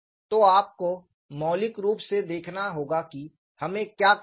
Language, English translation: Hindi, So, you have to look at fundamentally, what is it that we have to do